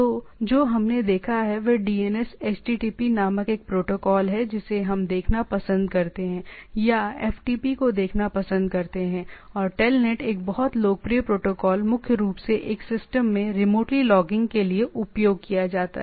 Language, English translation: Hindi, So, what we have seen protocol called DNS, http one we like to see this protocol or FTP and this another very popular protocol for TELNET primarily used for remotely logging in to a system